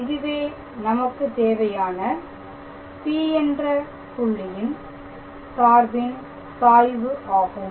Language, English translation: Tamil, So, this is the required gradient of the function f at the point P